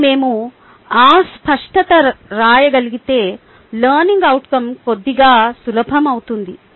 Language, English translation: Telugu, and if we can get that clarity, writing learning outcome becomes a little bit easy